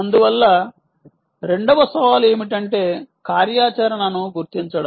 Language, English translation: Telugu, therefore, second challenge is to do activity detection